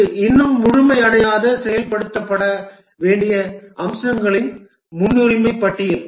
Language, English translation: Tamil, This is a prioritized list of features to be implemented and not yet complete